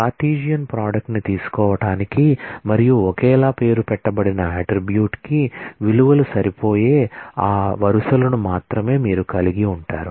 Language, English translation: Telugu, To take the Cartesian product and you only retain those rows where the values match for the identically named attribute